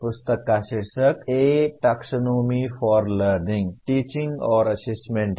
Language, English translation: Hindi, The title of the book is A Taxonomy for Learning, Teaching, and Assessment